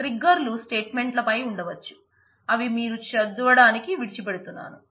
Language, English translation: Telugu, Triggers can be on statements as well you can decide leave for your reading